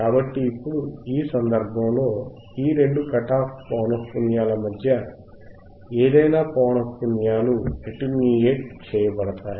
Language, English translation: Telugu, So, now, in this case, any frequencies in between these values right any frequencies in between these two cut off frequencies are attenuated